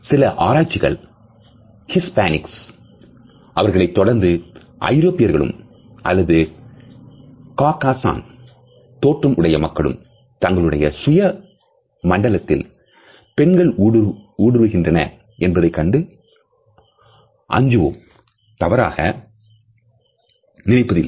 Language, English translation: Tamil, Certain researchers have found out that Hispanics followed by Europeans or people of Caucasian origin are least likely to feel that women are invading their personal space